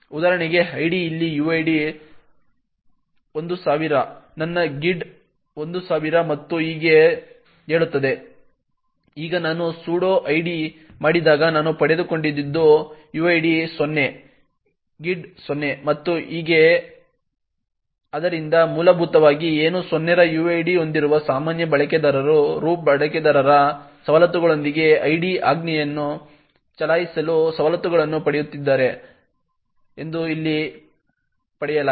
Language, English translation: Kannada, So for example id over here tells me that the uid is 1000, my gid is 1000 and so on, now when I do sudo id what I obtained is that the uid is 0, the gid is 0 and so on, so what essentially is obtained over here is that a normal user who has a uid of 0 is getting privileges to run the id command with a privilege of a root user